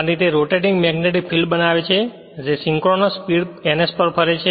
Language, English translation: Gujarati, And it creates a rotating magnetic field which rotate at a synchronous speed your what you call ns right